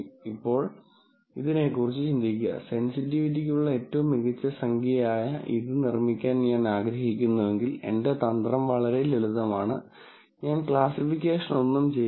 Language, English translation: Malayalam, Now, think about this, if I want to make this one, which is the best number for sensitivity, then my strategy is very simple, I will do no classification